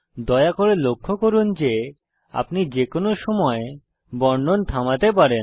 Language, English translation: Bengali, Please note that one can stop the narration at any time